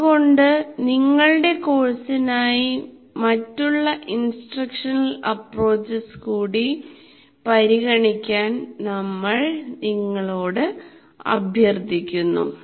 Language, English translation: Malayalam, So we urge you to kind of explore alternative instructional approaches for your course